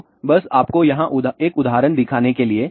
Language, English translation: Hindi, So, just to show you here ah one of the example